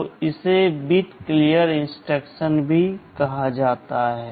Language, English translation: Hindi, So, this is also called a bit clear instruction